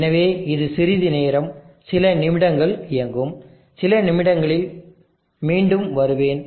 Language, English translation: Tamil, So it will run for some time few minutes, let me comeback in a few minutes